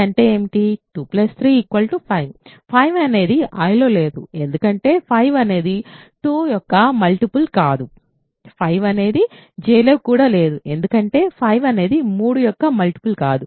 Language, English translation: Telugu, 2 plus 3 is 5; 5 is not in I because 5 is not a multiple of 2, 5 is also not in J because 5 is not a multiple of 3